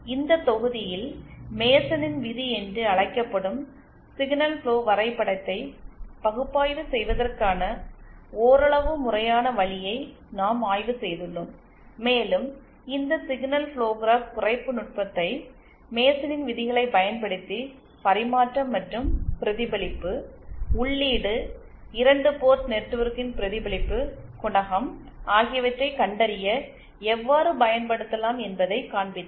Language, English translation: Tamil, In this module we have studied somewhat systematic way of analysing the signal flow graph which is called the MasonÕs rule and I also showed you how we can apply this signal flow graph reduction technique using the MasonÕs rules to find out the transmission and the reflection, input reflection coefficient of a 2 port network